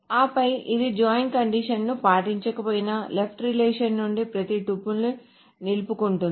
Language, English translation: Telugu, So what it does is that it retains every tuple from left relation